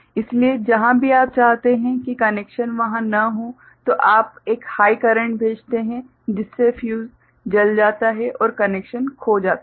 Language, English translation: Hindi, So, wherever you want the connection not to be there you send a high current by which the fuse is burnt and the connection is lost